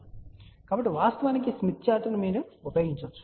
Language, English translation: Telugu, So, one can actually use Smith Chart